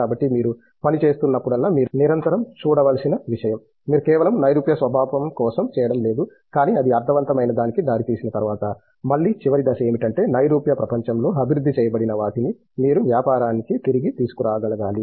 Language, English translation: Telugu, So, all that thing whenever you are working, you need to constantly see that you are not doing it just for the abstract nature, but then after it should lead to something meaningful and again the last stage is to whatever you are developed in the abstract world you will have to get back to the business